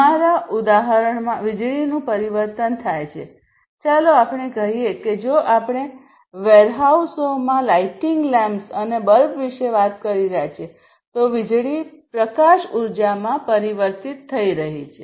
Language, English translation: Gujarati, So, in our example, basically electricity is transformed let us say that if we are talking about you know lighting lamps and bulbs in the warehouses, then electricity is getting transformed into light energy, right